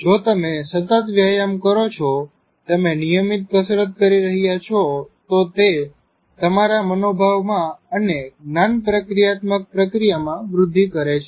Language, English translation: Gujarati, If you are involved in continuous exercises, you are exercising regularly, then it improves your mood and also can enhance your cognitive processing